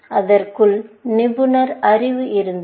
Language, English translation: Tamil, This had expert knowledge inside it